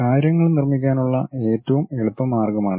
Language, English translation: Malayalam, This is the easiest way of constructing the things